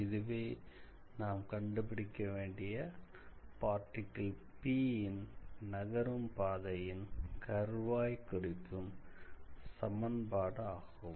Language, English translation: Tamil, So, this is the path or this is the curve along which the particle is moving